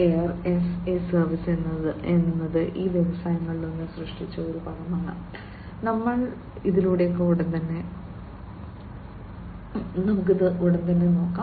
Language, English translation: Malayalam, Air as a service is a term that was coined by one of these industries we will go through shortly